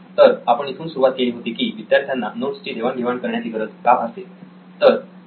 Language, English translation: Marathi, So we have started with why do students need to share notes